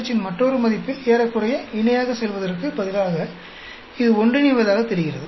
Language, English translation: Tamil, In another value of pH instead of going almost parallel, it seems to be sort of converging